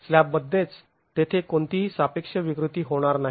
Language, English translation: Marathi, That is within the slab there is going to be no relative deformations